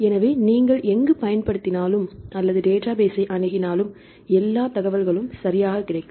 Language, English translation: Tamil, So, wherever you use or access the database you will get all information right